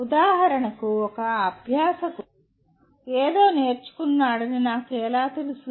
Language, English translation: Telugu, For example, how do I know a learner has learned something